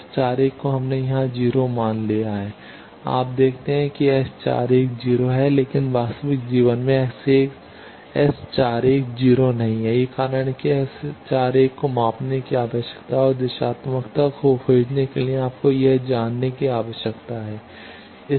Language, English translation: Hindi, S 41 we have assumed here to be 0, you see S 41 is 0, but in real life S 41 is not 0, that is why that S 41 needs to be measured and for finding directivity you need to know that